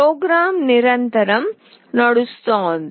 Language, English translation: Telugu, The program is continuously running